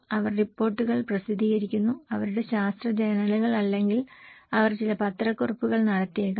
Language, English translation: Malayalam, They publish reports, their scientific journals or maybe they do some press release